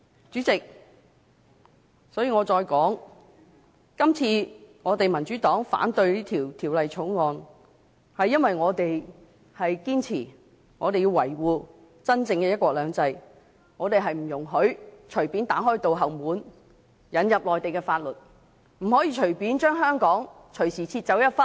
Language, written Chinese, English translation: Cantonese, 主席，我重申，民主黨反對這項《條例草案》，是因為我們堅持要維護真正的"一國兩制"，我們不容許隨便打開後門，引入內地法律，不可以隨便將香港割去一部分。, President I reiterate that the Democratic Party is against this Bill because we insist to defend the genuine one country two systems . We do not allow our back door to be opened arbitrarily so that Mainland laws can be introduced here . A part of Hong Kong cannot be taken away arbitrarily